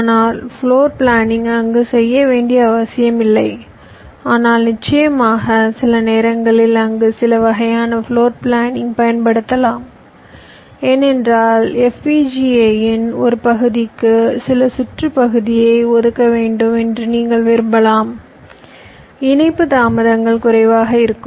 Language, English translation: Tamil, but of course sometimes you can use some bit of floorplanning there because you may want some circuit portion to be to be allocated to one part of the fpga in order that delay is interconnection, delay is are less